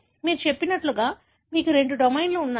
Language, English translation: Telugu, So you have, as I said you have two domains